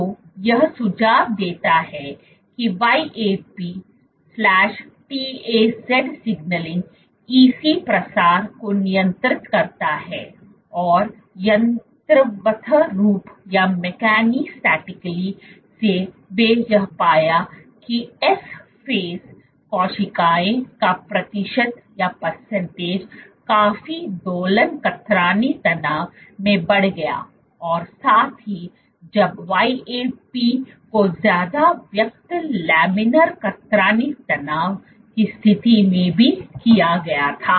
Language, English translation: Hindi, So, this suggest that YAP/TAZ signaling modulates EC proliferation and mechanistically what they found what the percentage of S phase cells was significantly increased under oscillatory shear stress as well under when YAP was over expressed even under laminar shear stress conditions